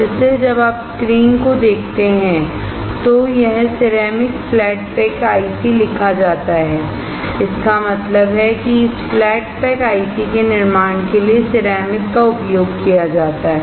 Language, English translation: Hindi, So, when you see the screen it is written ceramic flat pack IC; that means, ceramic is used for fabricating this flat pack IC